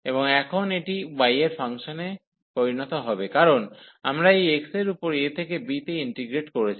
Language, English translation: Bengali, And now this will become a function of y, so because we have integrated over this x from a to b